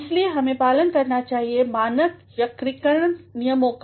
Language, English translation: Hindi, Hence, we have to follow standard grammatical rules